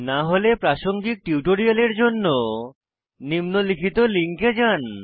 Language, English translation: Bengali, If not, watch the relevant tutorials available at our website